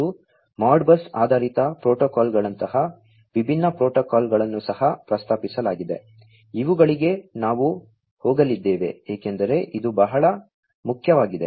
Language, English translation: Kannada, And, also there are different protocols such as the Modbus based protocols have been proposed to which we are going to go through because this is very important you know